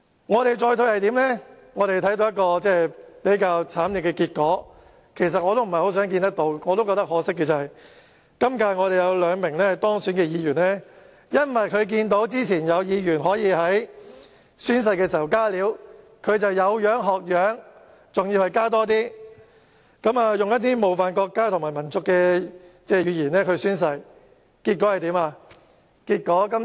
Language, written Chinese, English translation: Cantonese, 我們已看到一個慘烈的結果——其實我也對此感到可惜——今屆有兩名當選議員因為看到之前有議員可以在宣誓時"加料"，他們便有樣學樣，而且"加多一些"，使用冒犯國家和民族的言詞宣誓，結果怎樣呢？, We have already witnessed a tragic result―I actually feel sorry about it―in this term two elected Members having noted that some Members could add extra materials during oath - taking before did similar acts . Moreover they added something more using words offensive to the country and the nation in their oaths . What happened in the end?